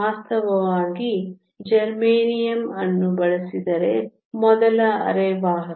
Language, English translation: Kannada, In fact, germanium was the first semiconductor that was used